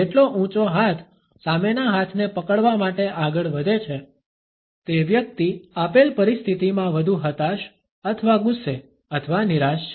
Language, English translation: Gujarati, The higher the one hand moves to grip the opposite arm the more the person is frustrated or angry or disappointed in the given situation